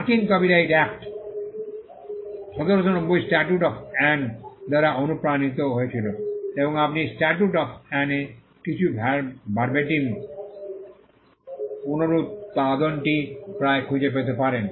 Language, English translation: Bengali, The US Copyright Act of 1790 was inspired by the statute of Anne and you can almost find some Verbatim reproduction of the statute of Anne